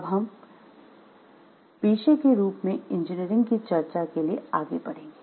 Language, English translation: Hindi, With this we will move forward to the discussion of engineering as a profession